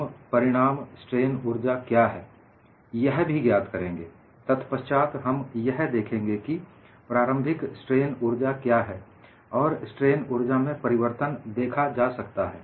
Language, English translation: Hindi, We find out what is the final strain energy; then, we look at what is the initial strain energy, and the difference in strain energy is seen